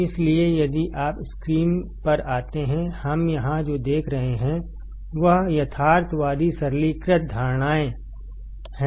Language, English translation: Hindi, So, if you come to the screen; what we see here is realistic simplifying assumptions